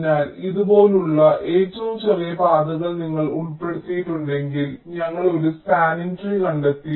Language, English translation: Malayalam, so if you include all the shortest path, like this: already we have found out a spanning tree